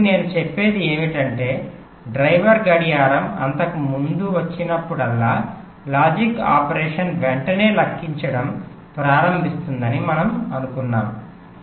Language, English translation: Telugu, so what i am saying is that whenever the driver clock comes so earlier we have assumed that whenever the driver clocks come, the logic operation start calculating immediately